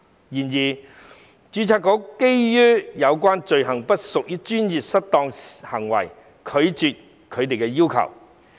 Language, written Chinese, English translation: Cantonese, 然而，註冊局基於有關罪行不屬專業失當行為，拒絕他們的要求。, However the Board has rejected their demand on the grounds that the offences concerned do not constitute professional misconduct